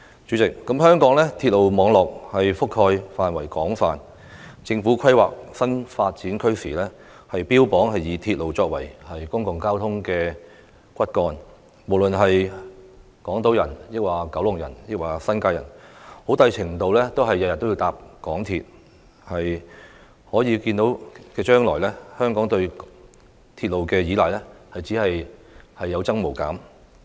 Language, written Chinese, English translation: Cantonese, 主席，香港鐵路網絡覆蓋範圍廣泛，政府規劃新發展區時，標榜以鐵路作為公共交通骨幹，不論是港島人、九龍人或新界人，每天很大程度都要乘坐港鐵出行，在可見的將來，香港對鐵路的依賴只會有增無減。, President Hong Kongs railway network covers an extensive area . In making planning on new development areas the Government lays emphasis on the railway as the backbone of public transport . To a large extent Hongkongers no matter whether they live on Hong Kong Island in Kowloon or in the New Territories need to commute by the Mass Transit Railway MTR every day